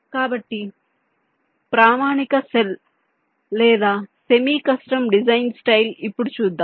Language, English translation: Telugu, so standard cell or semi custom design style